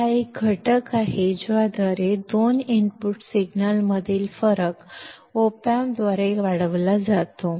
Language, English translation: Marathi, It is a factor by which the difference between two input signals is amplified by the op amp